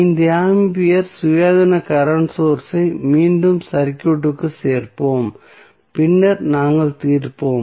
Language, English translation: Tamil, So, we will add the 5 ampere independent current source again in the circuit and then we will solve